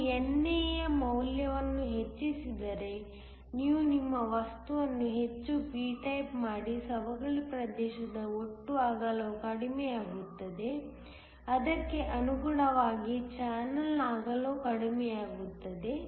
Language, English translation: Kannada, If you increase the value of NA so, you make your material more p type, the total width of the depletion region will reduce correspondingly the width of the channel will also reduce